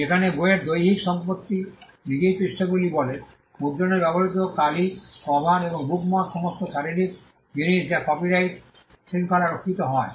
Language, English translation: Bengali, Whereas, the physical property in the book itself says the pages, the ink used in printing, the cover and the bookmark are all physical goods which are not protected by the copyright regime